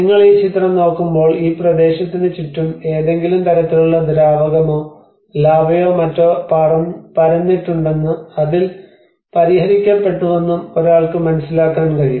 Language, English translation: Malayalam, So, when you look at this image, obviously one can notice that there has been some kind of liquid, lava or something which has been flown around this region and it has got settled down